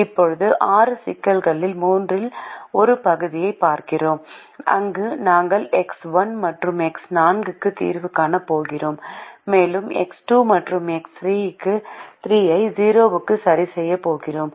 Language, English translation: Tamil, now we look at the third out of this six problems, where we are going to solve for x one and x four and we are going to fix x two and x three to zero